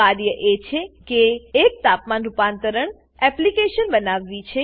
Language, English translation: Gujarati, The task is to create a Temperature convertor application